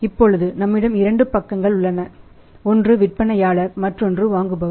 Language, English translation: Tamil, See we have two side one side is a seller another is a buyer